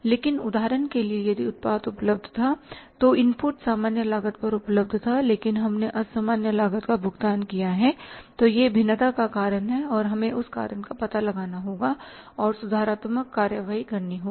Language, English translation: Hindi, But for example if the product was available, input was available at the normal cost but we have paid the abnormal cost then this is a cause of the variance and we have to find out that cause and take the corrective actions